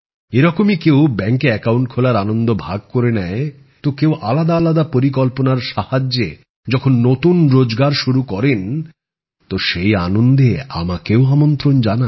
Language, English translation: Bengali, Similarly, someone shares the joy of opening a bank account, someone starts a new employment with the help of different schemes, then they also invite me in sharing that happiness